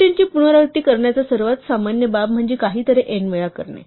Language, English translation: Marathi, The most common case for repeating things is to do something exactly n times